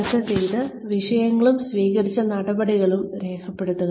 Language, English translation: Malayalam, Record the issues discussed, and the action taken